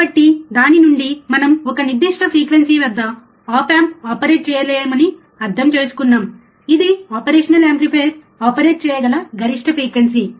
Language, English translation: Telugu, So, from that what we also understand that a particular frequency, the op amp cannot be operated, that is a maximum frequency at which the operational amplifier can be operated